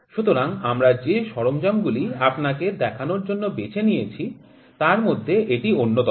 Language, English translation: Bengali, So, this is one of the instruments that we selected it to show you